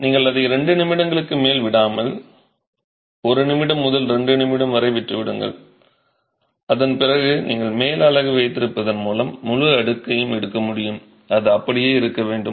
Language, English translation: Tamil, You leave it for not more than two minutes, a minute to two and then you should be able to pick up the entire stack by just taking the, by just holding the top unit and it should stay